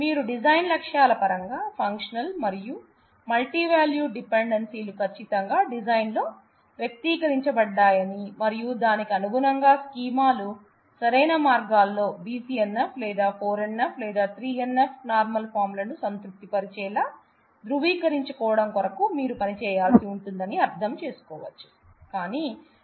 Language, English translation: Telugu, So, you can understand that in terms of your design goals, you have to do a very good job to make sure that, your functional and multivalued dependencies are accurately expressed in the design and accordingly the schemas are normalized in the proper ways satisfying BCNF or 4 NF or 3 NF normal forms